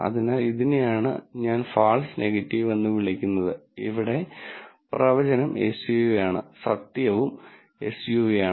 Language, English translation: Malayalam, So, this is what I would call as false negative and here the prediction is SUV and the truth is also SUV